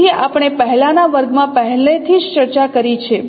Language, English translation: Gujarati, So this we have already discussed in the previous class